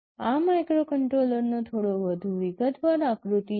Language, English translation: Gujarati, This is a slightly more detailed diagram of a microcontroller